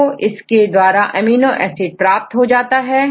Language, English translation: Hindi, And then finally you obtain the amino acid